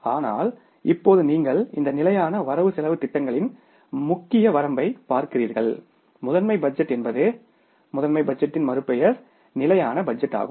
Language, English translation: Tamil, But now you see the major limitation of this budget, static budget, master budget is the other name of the master budget is the static budget